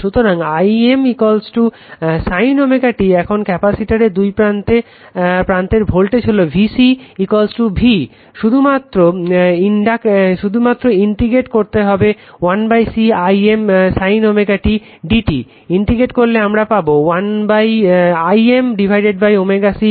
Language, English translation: Bengali, So, so im is equal to sin omega t, now voltage across the capacitor that is VC is equal to V V is equal to VC just you have to integrate 1 upon C Im sin omega t dt if you integrate it will be Im upon omega C minus cos omega t